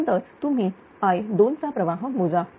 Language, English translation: Marathi, So, then you compute the current for i 2